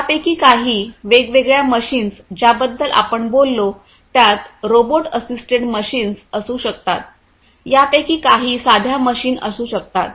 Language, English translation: Marathi, All these different machines that we talked about some of these may be robot assisted machines; some of these could be simple machines